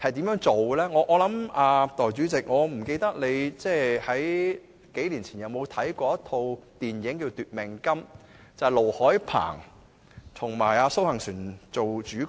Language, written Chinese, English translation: Cantonese, 代理主席，我不知道你數年前有沒有看過一齣電影"奪命金"，此電影由盧海鵬和蘇杏璇主演。, Deputy President I do not know if you have ever seen the movie Life Without Principle which was screened several years ago and starred by LO Hoi - pang and SOH Hang - suen